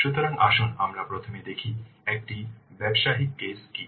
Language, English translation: Bengali, So let's see first what a business case is